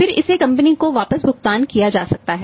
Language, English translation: Hindi, Then it can be paid back to the company